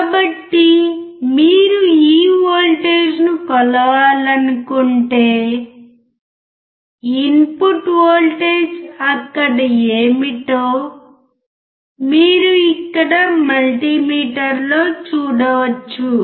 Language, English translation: Telugu, So, if you want to measure this voltage you can see what is the input voltage 2 point you can see here on the multimeter it is 2